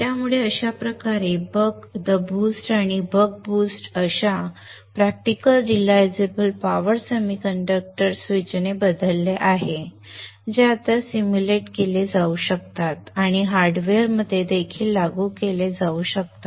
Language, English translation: Marathi, So in this way the buck, the boost and the buck boost are now replaced with practical realizable power semiconductor switches which can now be simulated and even implemented in hardware